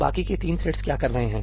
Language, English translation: Hindi, And what are the other three threads doing